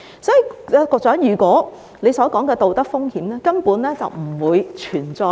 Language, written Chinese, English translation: Cantonese, 所以，局長所提到的道德風險根本不會存在。, As a result the moral hazards as referred to by the Secretary are simply non - existent